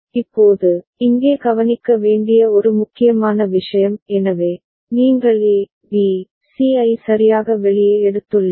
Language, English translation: Tamil, Now, one important thing to be noted here; so, you have taken out put A, B, C right